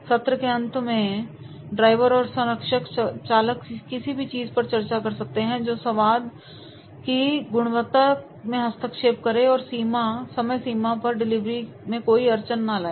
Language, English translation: Hindi, At the end of the session drivers and the mentor drivers discuss anything that might be interfering with the quality of the product or timelines of the delivery